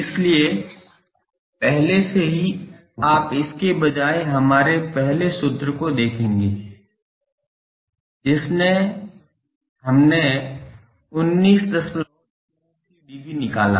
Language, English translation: Hindi, So, already you will see instead of this our that first formula that gave us 19